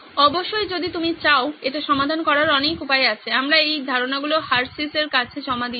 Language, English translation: Bengali, There are many ways to solve this of course we have not submitted these ideas to Hershey’s if you want to